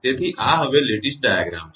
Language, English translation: Gujarati, So, this is Lattice Diagram now